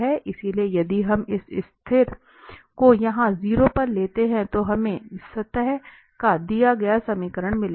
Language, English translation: Hindi, So, if we take this constant precisely at the 0 here, then we will get the given equation of the surface